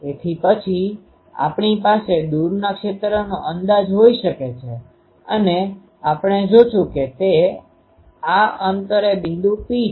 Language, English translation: Gujarati, So, then we can have the far field approximation and we will see that this distant point P